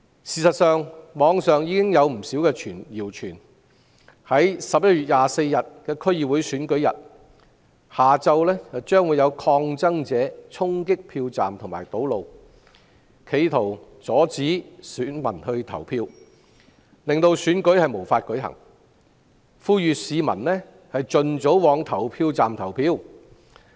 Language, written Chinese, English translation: Cantonese, 事實上，網上有不少謠傳，在11月24日的區議會選舉日下午，有抗爭者會衝擊票站和堵路，企圖阻止選民投票，令選舉無法舉行，呼籲市民盡早往投票站投票。, In fact there are rumours on the Internet that in the afternoon of the day of the DC Election on 24 November some protesters will charge polling stations and block roads to stop voters from voting and the Election cannot be held . There are appeals that members of the public should vote as early as possible